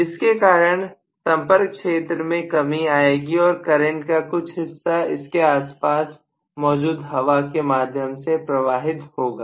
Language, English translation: Hindi, Then also the contact area decreases because of which may be some portion of the current has to flow through the surrounding air